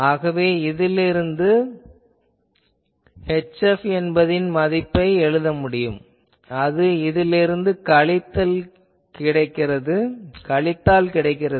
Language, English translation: Tamil, So, from here I can write what is the value of H F will be this minus this